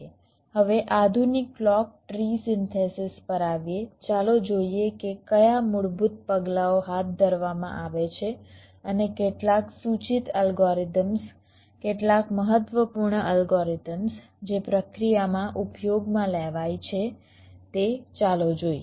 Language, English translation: Gujarati, ok, now coming to the modern clock tree synthesis, let us look at what are the basic steps which are carried out and some suggested algorithms, some important algorithms which are used in the process